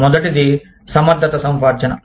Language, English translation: Telugu, The first is competence acquisition